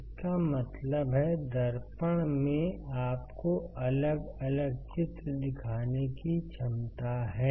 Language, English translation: Hindi, That means, the mirror has a capacity to show you different images